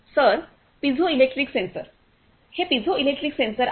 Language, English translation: Marathi, Sir piezoelectric sensors, these are piezoelectric sensors